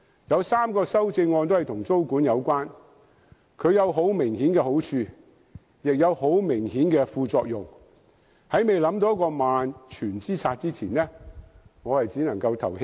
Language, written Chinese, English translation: Cantonese, 有3項修正案都與租管有關，租管有很明顯好處，亦有明顯副作用，在未想到萬全之策之前，我只能在表決時棄權。, Rent or tenancy control is suggested in three amendments which clearly has its pros and cons . But before I can figure out a surefire plan I can only abstain from voting